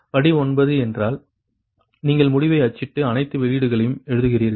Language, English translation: Tamil, step nine means you printout the result, write all the outputs, right